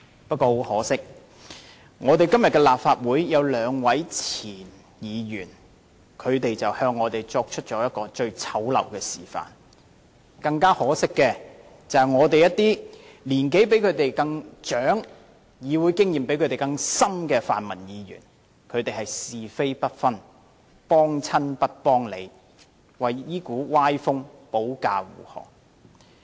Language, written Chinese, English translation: Cantonese, 不過，很可惜，立法會有兩位前候任議員向我們作出了最醜陋的示範，更可惜的是，立法會內有一些年齡比他們長，議會資歷較他們深的泛民議員，是非不分，"幫親不幫理"，為這股歪風保駕護航。, However it is a shame that two former Members - elect had given us the ugliest demonstration . More regrettable still certain pan - democratic Members in this Council who are older and have more experience in the legislature than the duo have failed to tell right from wrong . By siding with their allies and refusing to stand on the side of facts they have championed this unhealthy trend